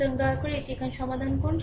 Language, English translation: Bengali, So, please solve this one here